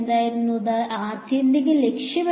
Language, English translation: Malayalam, What was our ultimate objective